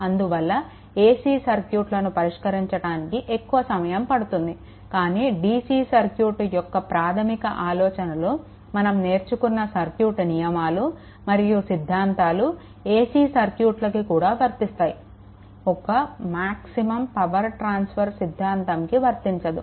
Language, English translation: Telugu, And it it will take much more time as it conceive more time to solve such things, but basic idea for dc circuit whatever circuits laws and theorems you are learning, it is same as same for your ac circuits apart from your maximum power transfer theorem that we will see later right